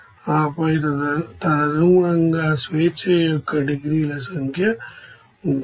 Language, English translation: Telugu, And then accordingly number of degrees of freedom will be there